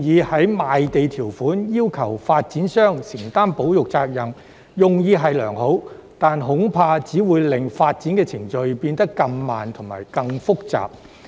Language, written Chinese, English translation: Cantonese, 在賣地條款中要求發展商承擔保育責任的建議用意良好，但恐怕只會令發展程序變得更慢和更複雜。, While the proposal of requiring developers to undertake conservation responsibilities in the land sale conditions is well - intentioned I am afraid that it will only make the development procedures even slower and more complicated